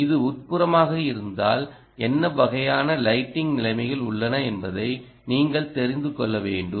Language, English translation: Tamil, if it is Indoor, you should know what kind of lighting conditions exist Indoor